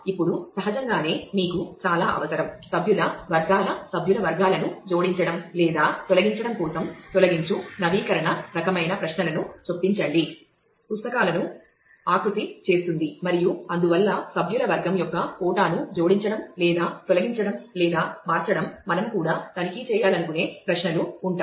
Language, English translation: Telugu, Now, naturally we need a whole lot of you know insert delete update kind of queries for adding or removing members categories of members shapes the books and so, on adding or removing or changing the quota of a category of member the duration for that also we will have queries like to check